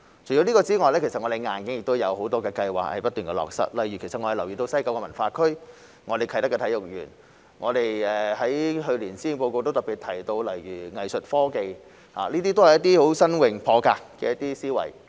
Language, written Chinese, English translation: Cantonese, 除此之外，我們正不斷落實很多硬件相關的計劃，例如西九文化區、啟德體育園，去年於施政報告特別提到藝術科技，這些都是新穎、破格的思維。, Apart from that we have been continuously implementing a number of hardware - related projects such as the West Kowloon Cultural District the Kai Tak Sports Park as well as arts technology highlighted in last years Policy Address . All these are innovative and groundbreaking ideas